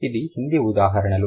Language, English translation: Telugu, These are the Hindi examples